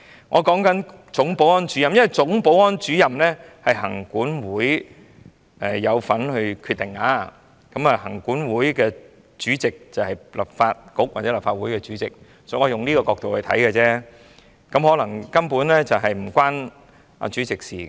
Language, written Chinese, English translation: Cantonese, 我在說總保安主任，因為總保安主任的薪酬是行政管理委員會有份決定的，而行政管理委員會主席，便是立法局或立法會主席，我是從這個角度看而已，可能事情根本與主席無關也說不定。, I was talking about the Chief Security Officer . The Legislative Council Commission is involved in deciding the salary of the Chief Security Officer . And the Chairman of the Legislative Council Commission is the President of the Legislative Council